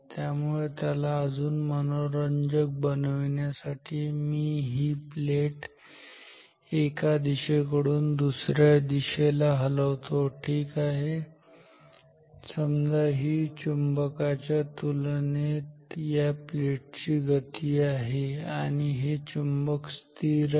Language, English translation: Marathi, So, or ought to make it more interesting let me let me move the plate from one direction to the other ok, say this is the motion of the plate with respect to the magnet and this magnet is stationary